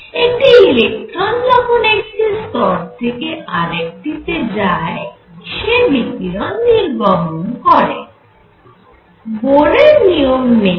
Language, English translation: Bengali, When an electron makes a jump from one level to the other it gives out radiation by Bohr’s rule